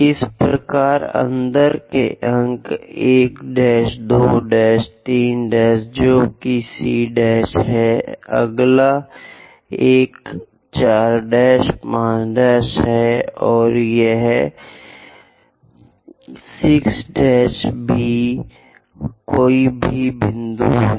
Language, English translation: Hindi, Similarly, inside points, 1 prime, 2 prime, 3 prime, which is c prime, next one is 4 prime, 5 prime, and this is 6 prime B any point is there